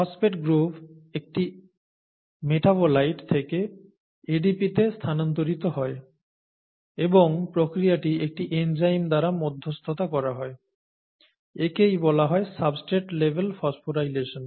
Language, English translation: Bengali, The phosphate group is transferred from a metabolite to ADP and is, the process is mediated by an enzyme, that’s what is called substrate level phosphorylation